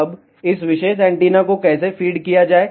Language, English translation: Hindi, Now, how to feed this particular antenna